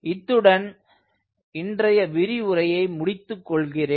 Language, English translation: Tamil, so with this i like to end todays lecture